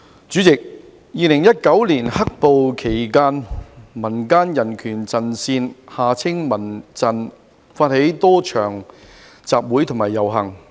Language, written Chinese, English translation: Cantonese, 主席 ，2019 年"黑暴"期間，民間人權陣線發起了多場集會和遊行。, President during the riots in 2019 the Civil Human Rights Front CHRF initiated a number of assemblies and processions